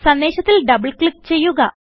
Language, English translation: Malayalam, Lets double click on the message